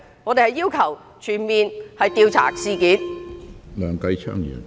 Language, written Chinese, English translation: Cantonese, 我們要求全面調查事件。, We demand a thorough investigation into the incident